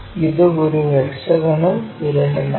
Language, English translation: Malayalam, It is a hexagonal pyramid